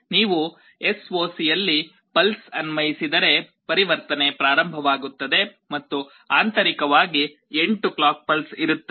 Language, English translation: Kannada, If you apply a pulse in SOC the conversion will start and internally there will be 8 clock pulses